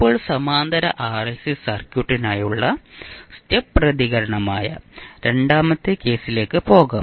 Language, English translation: Malayalam, Now, let us move on to the second case that is step response for a parallel RLC circuit